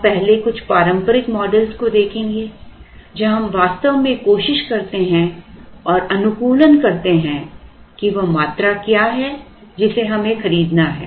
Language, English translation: Hindi, We will first look at some traditional models where we actually try and optimize and try and find out what is the quantity that we have to buy